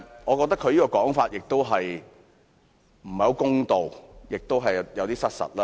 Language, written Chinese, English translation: Cantonese, 我覺得他這樣說不太公道，而且有點失實。, I think this is not a fair comment and is somewhat inconsistent with the facts